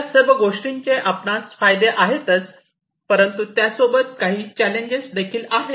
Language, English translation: Marathi, So, all these things are advantageous, but at the same time these are challenging